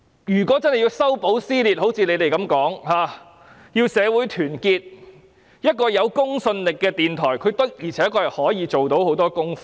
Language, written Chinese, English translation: Cantonese, 要一如他們所說般修補撕裂和團結社會，一個有公信力的電台的確可以進行很多工作。, In order to mend the rift and unite the community as they have asserted a credible radio broadcaster can honestly do a lot